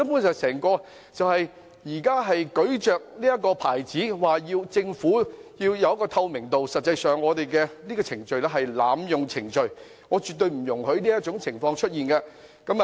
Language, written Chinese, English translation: Cantonese, 現在議員聲稱要求政府辦事具透明度，但實際上根本是濫用程序，我絕對不容許這種情況出現。, Some Members claim that they are asking the Government to operate with transparency but they are actually abusing the procedure . I will definitely not tolerate this situation